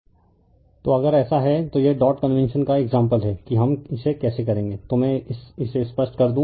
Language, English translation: Hindi, So, if it is so that is illustration of dot convention that how we will do it right so let me clear it